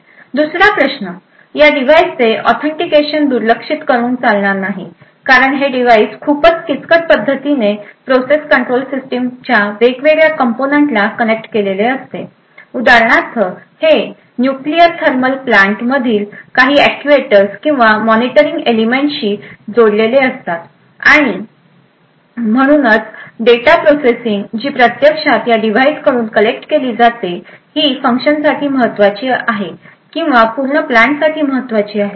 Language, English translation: Marathi, The 2nd issue is that authentication of these devices cannot be ignored, the fact is that these edge devices are quite critically connected to various components of process control system it could for example be connected to some of the actuators or monitoring elements in nuclear thermal plants, and therefore the data processing which is actually collected by this device is actively important for the functioning or the correctness of the entire plant